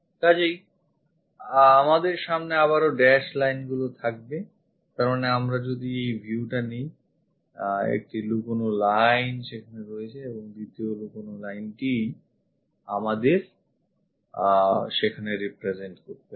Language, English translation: Bengali, So, again we will have dash lines; that means, if we are picking this view one hidden line and second hidden lines we have to represent there